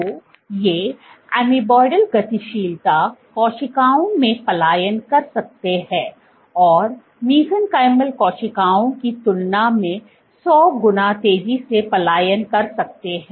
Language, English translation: Hindi, So, these can migrate in amoeboidal motility cells might migrate hundred times faster than mesenchymal cells